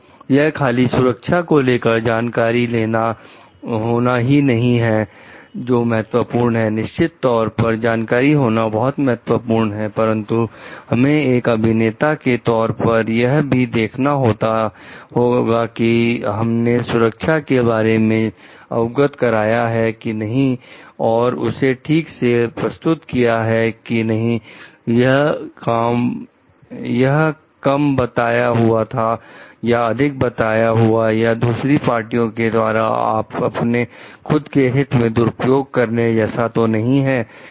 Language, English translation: Hindi, So, it is not the knowledge about the safety issues which are important only it is definitely the knowledge is important, but we have also as an engineers, it is a involvement with the to see like whatever we are reporting about the safety issues that it is represented properly, it is not understated, overstated or not like misused by other parties for their own intentions